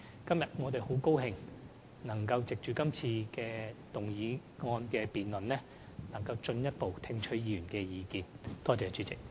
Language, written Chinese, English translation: Cantonese, 今天，我很高興能藉這項議案的辯論，進一步聽取議員的意見。, Today I am glad that I can listen to Members further views in the debate on this motion